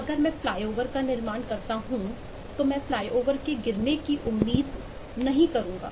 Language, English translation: Hindi, if I construct a flyover, I would not expect the flyover to fall over